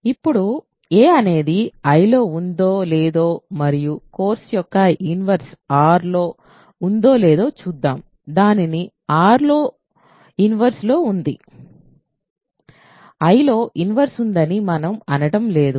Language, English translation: Telugu, So, now let us see if a is in I and a inverse of course, is in R, it has an inverse in R we are not saying it has an inverse in I